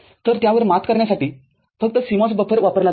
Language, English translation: Marathi, So, to overcome that, what is used is a CMOS buffer only